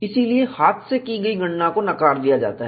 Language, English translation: Hindi, So, hand calculation is ruled out